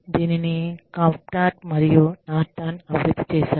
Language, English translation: Telugu, This was developed by, Kaplan and Norton